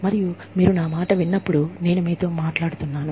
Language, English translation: Telugu, And but, when you listen to me, it is like, I am talking to you